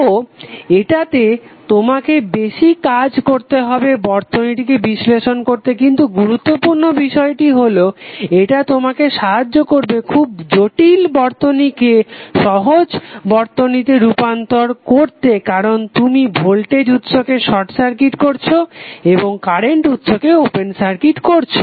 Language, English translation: Bengali, So this will be giving you more work to analyze the circuit but the important thing is that it helps us to reduce very complex circuit to very simple circuit because you are replacing the voltage source by short circuit and current source by open circuit